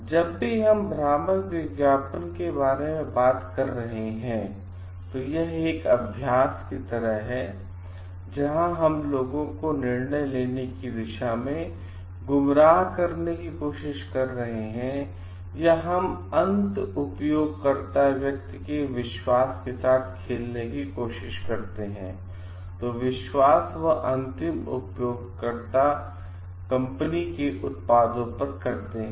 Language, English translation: Hindi, Whenever we are talking about deceptive advertising it is a practice, where we are trying to mislead people towards taking a decision or we are trying to play with a belief of the person end user they trust of the end user on the company